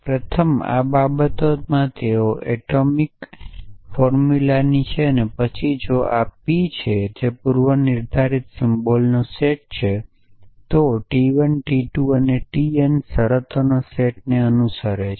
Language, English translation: Gujarati, So, first these things they belong to atomic formulas then if P belongs to P is a set of predicate symbols and t 1 t 2 t n belongs to a set of terms